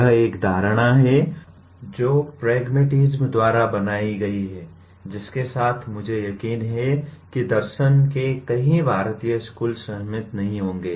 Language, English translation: Hindi, This is an assumption that is made by pragmatism, with which I am sure many Indian schools of philosophy will not agree